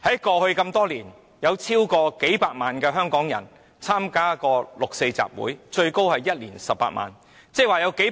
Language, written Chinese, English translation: Cantonese, 過去多年，有超過數百萬香港人曾參加六四集會，最多參加者的一年有18萬人參與。, For many years in the past over millions of Hong Kong people have taken part in 4 June rallies with the highest turnout recorded being 180 000 people in one year